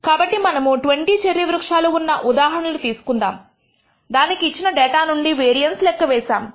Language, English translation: Telugu, So, let us take an example of the 20 cherry trees we have computed the variance from the given data